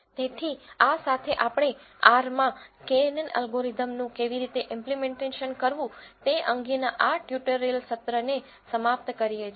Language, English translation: Gujarati, So, with this we end this tutorial session on how to implement knn algorithm in R